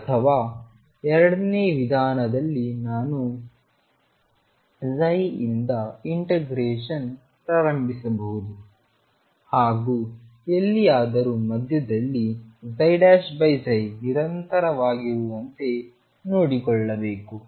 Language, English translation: Kannada, Or method two, I can start integrating from this psi I can start integrating from this psi and make sure that somewhere in the middle psi prime over psi is continuous